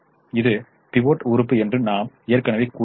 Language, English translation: Tamil, we said this is the pivot element